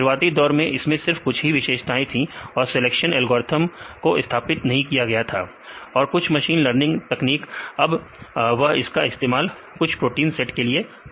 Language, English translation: Hindi, When they originally initiated this weka they have only few features and feature selection algorithm was not implemented and few machine learning techniques; now they try to use it for some similar set of proteins